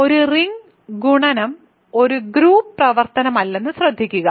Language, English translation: Malayalam, So, note that in a ring multiplication is not a group operation